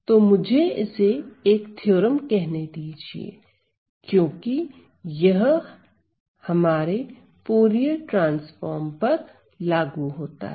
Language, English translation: Hindi, So, let me call this as a theorem because this will be applicable to our case of Fourier transforms